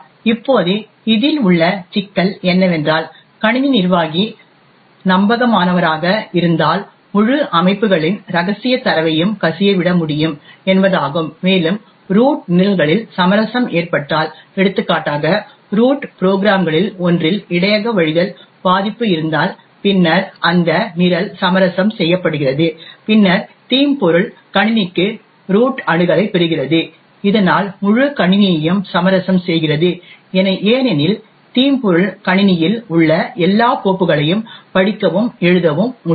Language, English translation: Tamil, Now the problem with this is that if the system administrator is an trusted then it means that the entire systems secret data can be leaked, further if the root itself gets compromised for example if there is a buffer overflow vulnerability in one of the root programs, then that program gets compromised and then the malware gets root access to the system and thus compromises the entire system because the malware can read and write to all files in the system